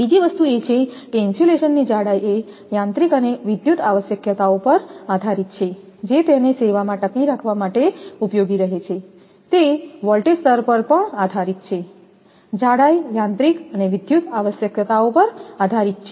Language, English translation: Gujarati, Another thing is the thickness of insulation depends on the mechanical and electrical requirements which it has to withstand in service; it depends on the voltage level, thickness depends on the mechanical and electrical requirements